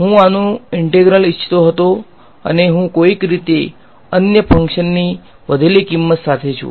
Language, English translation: Gujarati, So, I wanted the integral of this guy and I am somehow left with the value of some other function only ok